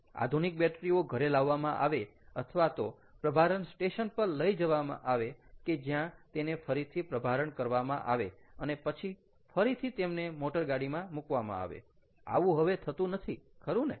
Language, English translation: Gujarati, ah, the modern batteries are brought home or taken to a charging station where they are charged again, recharged again and then brought back into the car